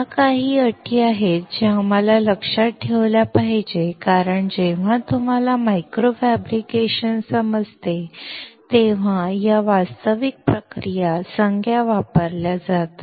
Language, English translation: Marathi, These are the few terms that we have to remember because these is actual technical terms used when you understand micro fabrication